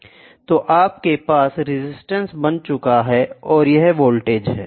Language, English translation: Hindi, So, you have resistance build and this is the applied voltage